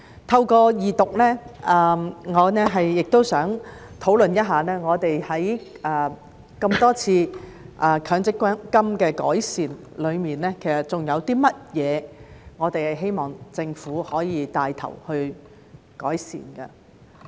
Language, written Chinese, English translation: Cantonese, 透過二讀，我也想討論一下，在強制性公積金經過多次的改善後，還有甚麼我們希望政府可以帶頭改善。, Through the Second Reading of the Bill I would also like to discuss what else we can look to the Government to take the lead to improve after enhancements have been made many times to the Mandatory Provident Fund MPF